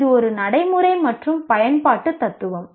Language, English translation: Tamil, It is a practical and utility in philosophy